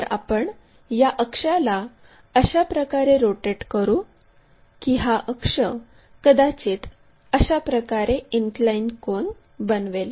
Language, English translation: Marathi, Then, what we will do is we will rotate it in such a way that this axis may an inclination angle perhaps in that way